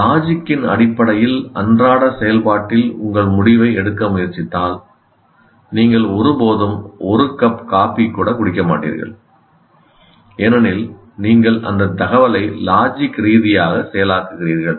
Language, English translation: Tamil, If you try to do take your decision in everyday activity based on logic, you will never even drink a cup of coffee because if you logically process that information